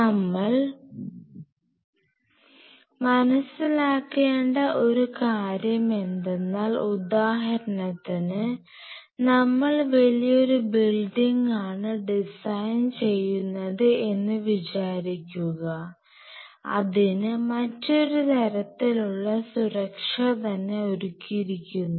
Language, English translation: Malayalam, So, realize one thing see for example, you are designing a building which is far bigger facility and needs a different level of security